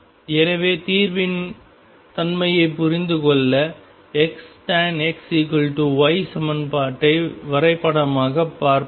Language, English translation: Tamil, So, to understand the nature of solution we will look at the equation x tangent of x equals y graphically